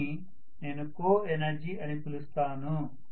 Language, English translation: Telugu, So let us try to look at what is coenergy